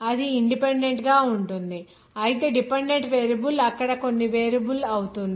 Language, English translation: Telugu, That would be independent whereas the dependent variable will be certain variable there